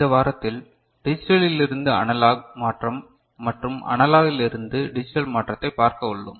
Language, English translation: Tamil, In this week, we look at Digital to Analog Conversion and Analog to Digital Conversion